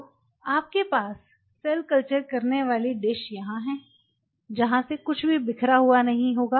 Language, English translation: Hindi, So, you have cell growing dish out here from where they are won’t be anything will spill over